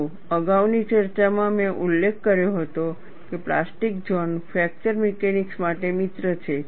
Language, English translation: Gujarati, See, in the earlier discussion, I had mentioned, plastic zone is a friend for fracture mechanics, that is what, I said